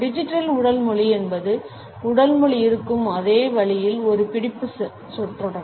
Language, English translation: Tamil, Digital Body anguage is a catch phrase in the same manner in which body language is